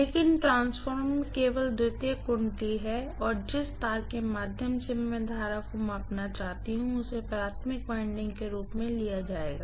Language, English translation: Hindi, But the transformer has only a secondary winding and the wire through which I want to measure the current itself will be taken as the primary winding, right